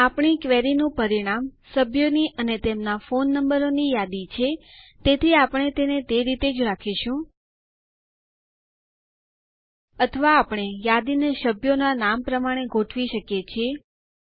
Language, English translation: Gujarati, Since the result of our query is a list of members and their phone numbers, we can leave this as is, Or we can order the list by member names